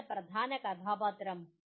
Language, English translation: Malayalam, Who was the key character …